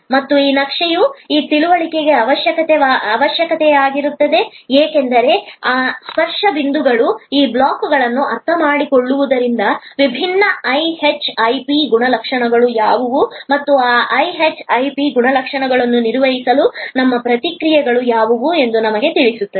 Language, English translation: Kannada, And this understanding of this map is necessary, because these touch points are understanding of this blocks will tell us that, what are the different IHIP characteristics and what should be our responses to manage those IHIP characteristics